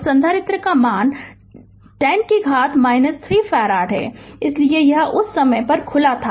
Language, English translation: Hindi, And capacitor value is 10 to the power minus 3 farad, so at that time this was open right